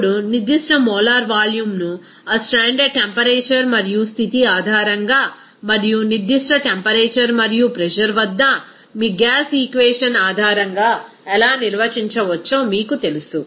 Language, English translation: Telugu, Now, you know that specific molar volume how it can be defined based on that standard temperature and condition and from your gas equation at a certain temperature and pressure